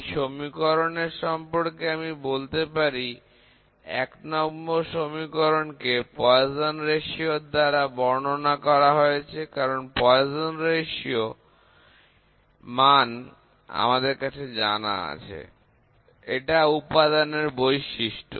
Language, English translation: Bengali, Ok so, this equation I will say 1, equation 1 can be expressed, can be expressed in terms of Poisson ratio, Poisson’s ratio we express because poisons ratio is known to us